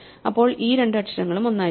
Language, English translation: Malayalam, So, these two letters must also be the same